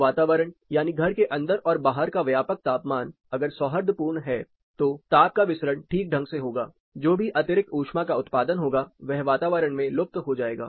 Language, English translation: Hindi, So, if the environment you know ambient conditions indoor or outdoor, if it is amicable then proper heat dissipation would happen, whatever excess heat is generated will be dissipated to the environment